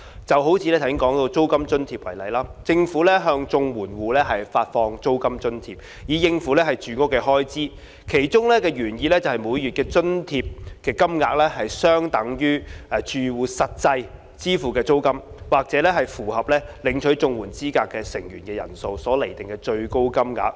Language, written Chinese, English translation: Cantonese, 以剛才提到的租金津貼為例，政府向綜援戶發放租金津貼以應付住屋開支，其原意是每月津貼金額相等於住戶實際支付的租金，或按符合領取綜援資格的住戶成員人數所釐定的最高金額。, Take the rent allowance mentioned just now as an example . Regarding the rent allowance issued by the Government to CSSA households for meeting accommodation expenses the original intention was that the monthly allowance would be equal to the actual rent paid by the household or the maximum rate determined with reference drawn to the number of members in the household eligible for CSSA